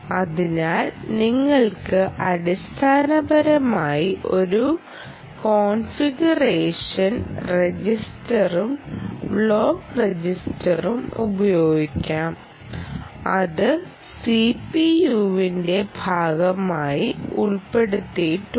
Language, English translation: Malayalam, so you could basically use a configuration register and block register register block which is included part of the c p